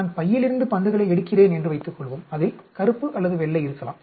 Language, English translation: Tamil, Suppose I pick up balls from bag, which may have a black or white